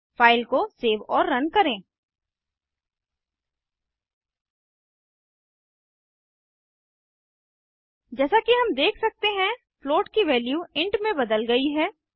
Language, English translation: Hindi, save and run the file As we can see, the float value has been converted to int